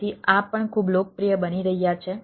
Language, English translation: Gujarati, so, so these are also becoming very popular